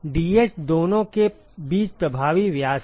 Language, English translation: Hindi, Dh is the effective diameter between the two